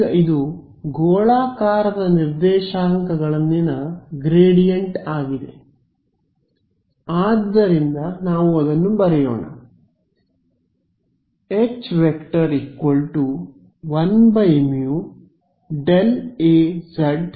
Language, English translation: Kannada, Now, also this is the gradient in spherical coordinates right so, let us write that down